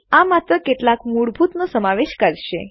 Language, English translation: Gujarati, This will just cover some of the basics